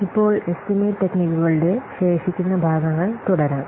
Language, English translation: Malayalam, Now let's continue the remaining parts of the estimation techniques